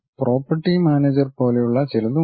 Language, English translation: Malayalam, There is something like property manager also